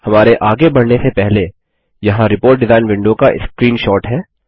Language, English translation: Hindi, Before we move on, here is a screenshot of the Report design window